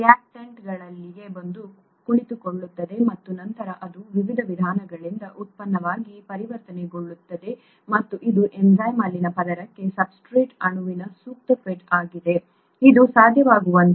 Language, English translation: Kannada, The reactant comes and sits there and then it gets converted to a product by various different means and it is the appropriate fit of the substrate molecule to the fold in the enzyme, a part of the enzyme that makes this possible, okay